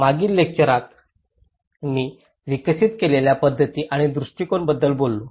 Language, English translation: Marathi, In the previous lecture, we talked about the method and approach which I have developed